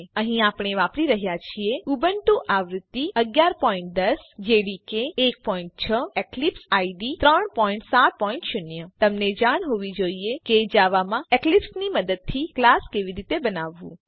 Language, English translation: Gujarati, Here we are using Ubuntu version 11.10 jdk 1.6 And Eclipse IDE 3.7.0 To follow this tutorial you must know how to create a class in Java using Eclipse